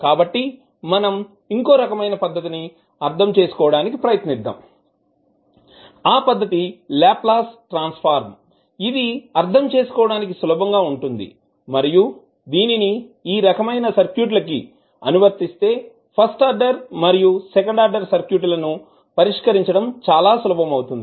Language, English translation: Telugu, So, we will try to understand another technique that is the Laplace transform which is easier to understand and we when we apply Laplace transform in these type of circuits it is more easier to solve the first order and second order circuit